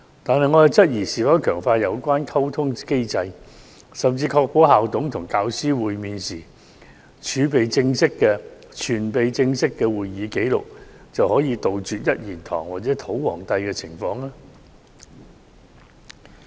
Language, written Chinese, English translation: Cantonese, 但是，我質疑是否強化有關溝通機制，甚至確保校董與教師會面時存備正式會議紀錄，便可杜絕"一言堂"或"土皇帝"的情況。, However I question whether strengthening the communication mechanism and ensuring that there are official minutes of the meetings between school managers and teachers can eliminate the situation of having only one voice or local tyrants